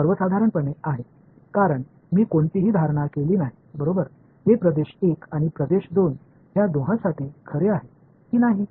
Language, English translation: Marathi, This is in general because I have not made any assumptions right, whether this is this is too for both region 1 and region 2